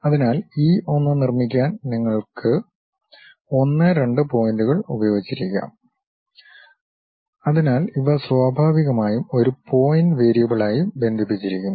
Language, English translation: Malayalam, So, to construct E 1 perhaps you might be using 1 and 2 points; so, these are naturally connected as a pointed variables